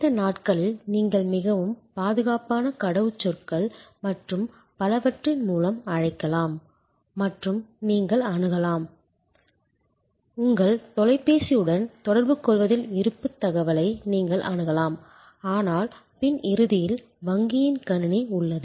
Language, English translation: Tamil, These days you can just call and through a very secure system of passwords and etc and you can access, you are balance information just interacting with your telephone, but at the back end of course, there is a computer of the bank